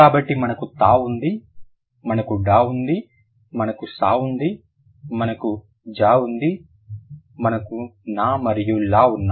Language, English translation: Telugu, So, we have ter, we have der, we have s, we have z, we have n and l, n and l